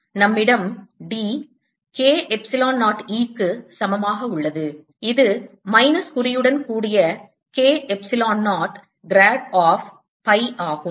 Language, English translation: Tamil, we have d is equal to a epsilon zero, e, which is k, epsilon zero, grad of phi with the minus sign